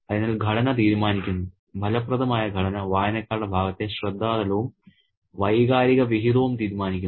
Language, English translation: Malayalam, So, the structure decides, the effective structure divides the, decides the attention level as well as the emotional dividends on the part of the readers